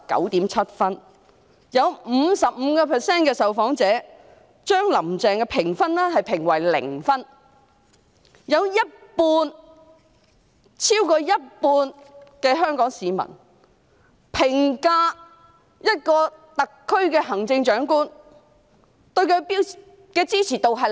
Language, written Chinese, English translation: Cantonese, 有 55% 的受訪者給予"林鄭"的評分為零分，超過一半香港市民評價這位特區行政長官時，對她的支持度是零。, While 55 % of the respondents gave Carrie LAM a zero score more than half of Hong Kong people gave her a zero support rating when evaluating this Chief Executive of the SAR